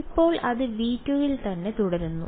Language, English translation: Malayalam, Now it is staying in V 2 right